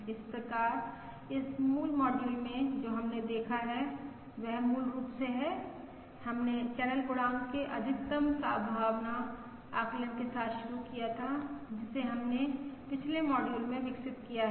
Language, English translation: Hindi, So in this basically module, what we have seen is basically we had started with the maximum likelihood estimate of the channel coefficient we have developed in the previous module and explored its various properties